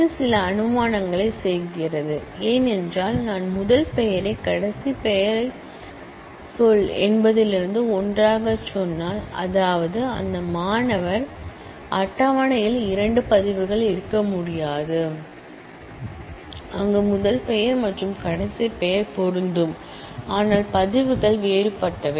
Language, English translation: Tamil, This does make some assumption, because if I say the first name last name together from say key; that means, that there cannot be two records in this student table, where the first name and last name match, but the records are different